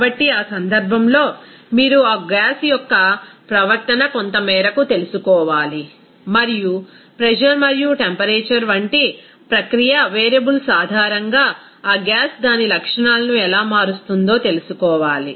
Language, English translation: Telugu, So, in that case, you have to know some extent of that behavior of that gas and how that gas will be changing its characteristics based on that process variables like pressure and temperature